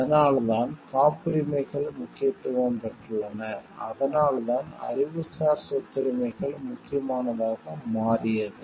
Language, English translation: Tamil, That is why copyrights have become important and that is why the intellectual property rights have become important